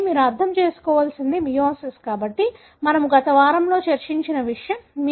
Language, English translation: Telugu, So, what you need to understand is that meiosis, so something that we discussed in the, in the previous week